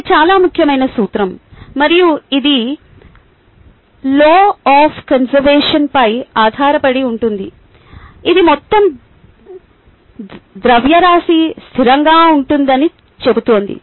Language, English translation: Telugu, ok, it is a highly important principle and this is based on the law of conservation of mass, which is essentially saying that total mass is a constant